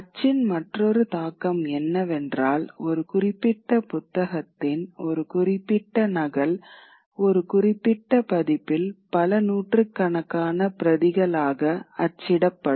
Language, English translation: Tamil, For now, another impact of print is that with print because a certain copy of the book, a certain edition of a particular book will have many hundreds of copies which are then distributed across Europe